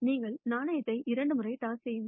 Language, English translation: Tamil, Sup pose you toss the coin twice